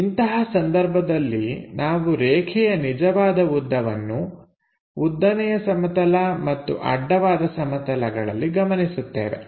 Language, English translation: Kannada, If that is the case, what are the lengths we are observing on the vertical plane and also on the horizontal plane